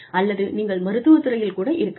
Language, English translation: Tamil, Or, if you are in the medical profession